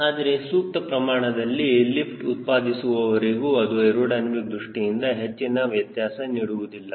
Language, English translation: Kannada, but as long as you produce appropriate lift it doesnt make much of a difference from aero dynamics model